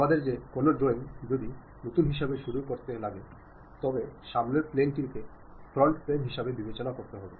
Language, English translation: Bengali, Any drawing we would like to begin as a new one the recommended plane to begin is front plane